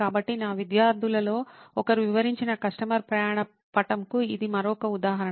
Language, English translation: Telugu, So, this is another example of customer journey map that one of my students had detailed out